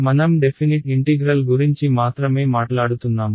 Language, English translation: Telugu, We are only talking about definite integrals alright